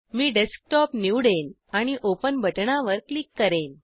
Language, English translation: Marathi, So, I will select Desktop and click on the Open button